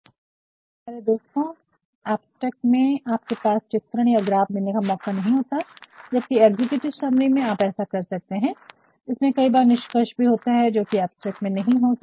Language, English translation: Hindi, To tell you the truth my dear friend in abstract you do not havethe opportunity of providing figures or graphs whereas, in an executive summary you can do that, in executive summary there are conclusions at times also which an abstract cannot have